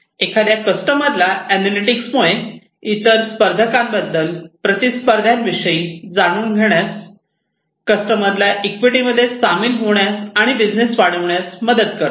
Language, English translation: Marathi, For a customer, analytics will help the customer to learn about competitors, learn about competitors, help the customer to join and activity, which expands business